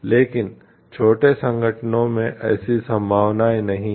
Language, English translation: Hindi, But in small organization such possibilities are not there